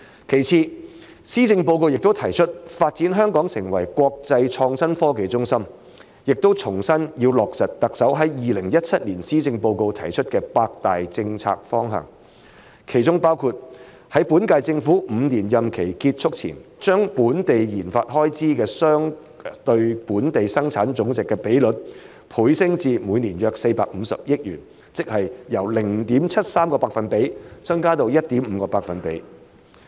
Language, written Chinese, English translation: Cantonese, 其次，施政報告亦提出發展香港成為國際創新科技中心，並重申要落實特首在2017年施政報告中提出的八大政策方向，其中包括在本屆政府5年任期結束前把本地研發總開支相對本地生產總值的比率，倍升至每年約450億元，即由 0.73% 增加至 1.5%。, Secondly the Policy Address also proposes to develop Hong Kong into an international innovation and technology hub and reiterates the need to implement the eight major directions set out in the Chief Executives 2017 Policy Address including to double the Gross Domestic Expenditure on research and development RD as a percentage of the Gross Domestic Product to about 45 billion a year by the end of the current Governments five - year term of office